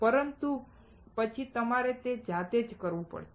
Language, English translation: Gujarati, But then you have to do it by yourself